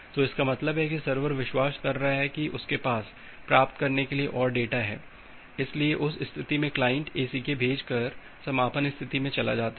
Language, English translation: Hindi, So that means, the server is believing that it has more data to receive, so in that case the client moves to the closing state by sending an ACK